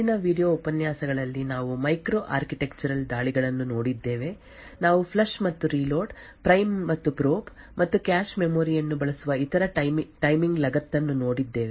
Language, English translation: Kannada, So, in the previous video lectures we had looked at micro architectural attacks, we had looked at flush and reload, the prime and probe and other such timing attach which uses the cache memory